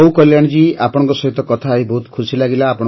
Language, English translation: Odia, Well Kalyani ji, it was a pleasure to talk to you